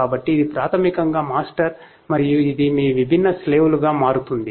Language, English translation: Telugu, So, this is basically the master and this becomes your different slaves